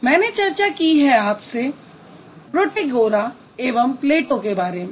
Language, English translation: Hindi, I did discuss about Protagoras and Plato